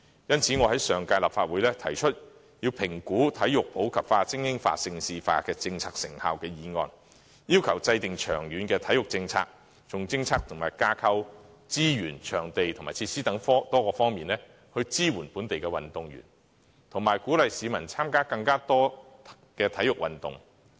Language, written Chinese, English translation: Cantonese, 因此，我在上屆立法會提出議案，要求評估體育普及化、精英化、盛事化政策的成效，制訂長遠的體育政策，從政策及架構、資源、場地及設施等多方面，支援本地運動員，以及鼓勵市民參加更多體育運動。, Therefore I moved a motion in the previous term of Legislative Council urging the Government to evaluate the effectiveness of the policy on promoting sports in the community supporting elite sports and developing Hong Kong into a prime destination for hosting major international sports events as well as to formulate a long - term sports policy to support local athletes to encourage more public participation in sports from various aspects such as sports policy and structure resources venues and facilities